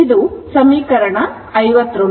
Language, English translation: Kannada, This is equation 63